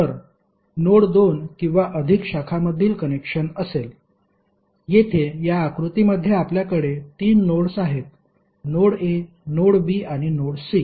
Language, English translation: Marathi, So node will be the connection between the two or more branches, Here in this figure we have three nodes, node a, node b and node c